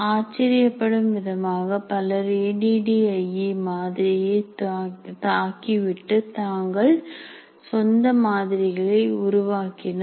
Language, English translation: Tamil, And surprisingly, many people have attacked the ADD and they have created their own